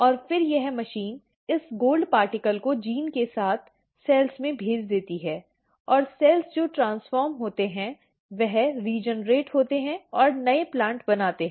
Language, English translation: Hindi, And, then this machine sends this gold particle along with the gene into the cells and the cells which are transformed they regenerate and make the new plant